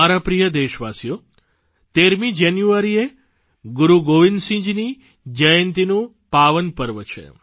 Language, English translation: Gujarati, My dear countrymen, January 13 is the date ofthe sacred festival observed in honour of Guru Gobind Singh ji's birth anniversary